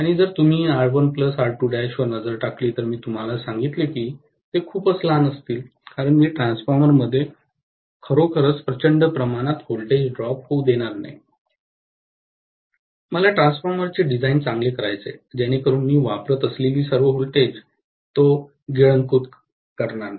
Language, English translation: Marathi, And if you look at R1 plus R2 dash, I told you that they will be very very small because I am not going to really let a huge amount of voltage drop within the transformer, I want to design the transformer well so that it doesn’t eat away all the voltage that I am applying, right